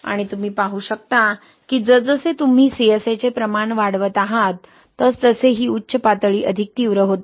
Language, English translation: Marathi, And you can see that as you increase the amount of CSA, this peak is more intense, right